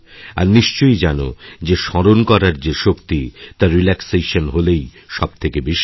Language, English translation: Bengali, And you must know that the power of memory to recall is greatest when we are relaxed